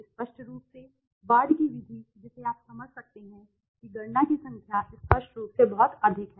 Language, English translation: Hindi, Obviously the ward s method you can understand there is lot of number of calculations are very high obviously right